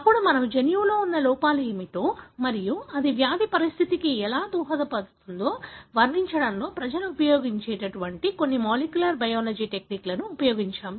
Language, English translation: Telugu, Then, we moved on and looked into some of the molecular biology techniques people use in characterising what are the defects that are there in the gene and how that may contribute to the disease condition